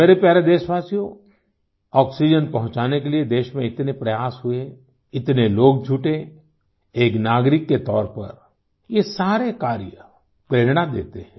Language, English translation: Hindi, My dear countrymen, so many efforts were made in the country to distribute and provide oxygen, so many people came together that as a citizen, all these endeavors inspire you